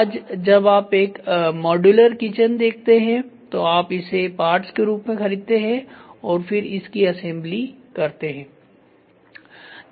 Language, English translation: Hindi, Today when you buy when you are looking for a modular kitchen you buy it as parts and then you assemble